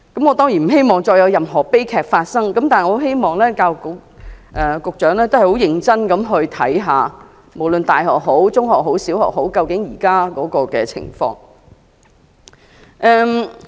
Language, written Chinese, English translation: Cantonese, 我當然不希望再有任何悲劇發生，但我希望教育局局長能認真地審視，無論是大學、中學和小學現時的情況。, I certainly do not want to see any more such tragedies so I hope that the Secretary for Education will earnestly examine the current situation of universities secondary schools and primary schools